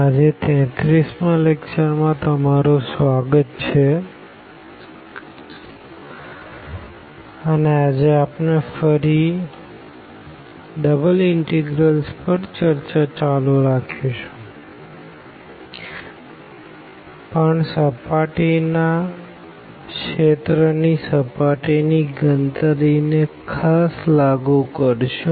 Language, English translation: Gujarati, Welcome back this is lecture number 33 and today again we will continue with this Double Integrals, but with a special application to surface computation of the surface area